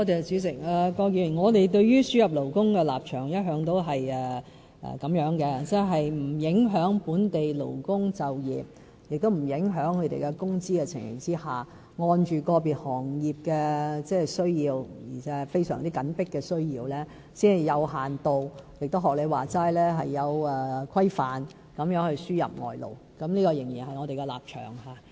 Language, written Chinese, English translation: Cantonese, 主席，郭議員，我們對於輸入勞工的立場，一向都是在不影響本地勞工就業，亦不影響他們工資的情形下，按照個別行業的需要而且是非常緊迫的需要，才會有限度地——亦正如你所說——有規範地輸入外勞，這仍然是我們的立場。, President Mr KWOK our long - standing position on importing workers is that we will only import workers on a limited scale based on the urgent needs of individual industries and on the premise of not undermining the job opportunities of local workers and their wages and like you said it is subject to a regulatory system . This remains our position